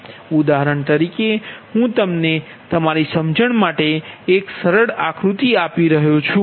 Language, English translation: Gujarati, for example, i am giving you a same for your understanding, a simple diagram, suppose